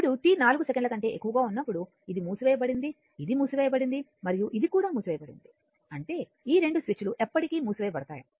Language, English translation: Telugu, Now at t greater than 4 second ah this is closed this is closed and this is also closed; that means, we will assume these 2 switches are closed forever right